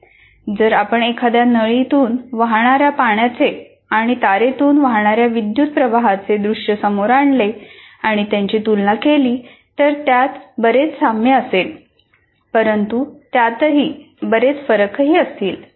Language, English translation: Marathi, But if you put water flowing through a pipe and current flowing through a wire, if I compare these two, there will be many similarities, but there will also be many differences